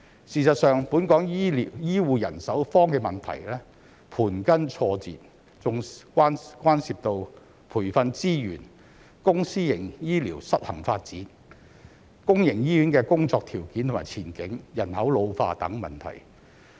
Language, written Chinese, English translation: Cantonese, 事實上，本港醫護人手荒的問題盤根錯節，還牽涉到培訓資源、公私營醫療失衡發展、公營醫院的工作條件及前景、人口老化等問題。, In fact Hong Kongs shortage of healthcare manpower is complicated as it involves training resources unbalanced development of public and private healthcare services conditions and prospects of working in public hospitals and population ageing